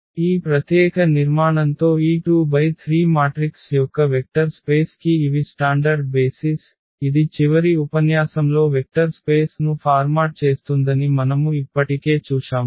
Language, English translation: Telugu, With this special structure again these are the standard basis for this vector space of this 2 by 3 matrices we have already seen that this format a vector space in the last lecture